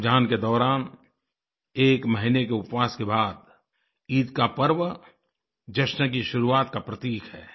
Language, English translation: Hindi, After an entire month of fasting during Ramzan, the festival of Eid is a harbinger of celebrations